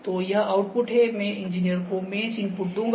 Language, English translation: Hindi, So, this output goes, I will put the mesh input to the engineers